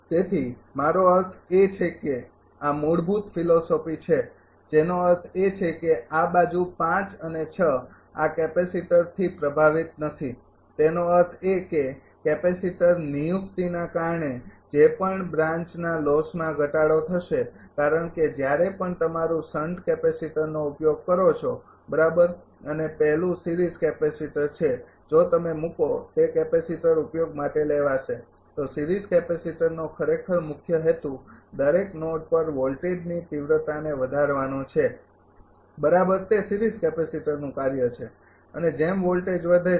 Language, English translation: Gujarati, So, I mean this is the basic philosophy that mean this side 5 and 6 not affected by this capacitor; that means, whatever branch losses will reduce due to capacitor placement because whenever use your sun capacitor right and first is series capacitor if you put it will come to that for a capacitor application, series capacitor actually main purpose is to increase the voltage magnitude right of the each node